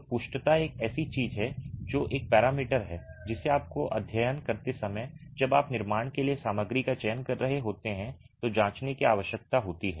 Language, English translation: Hindi, So, efflorescence is something that is a parameter that needs to be checked when you are studying, when you are selecting materials for the construction